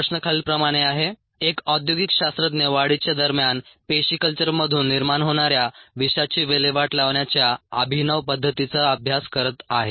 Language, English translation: Marathi, the question reads is: follows and industry scientist is studying a novel method of disposing a toxin that results from cells culture during the course of cultivation